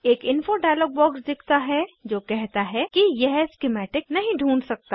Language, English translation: Hindi, An Info dialog box appears saying it cannot find schematic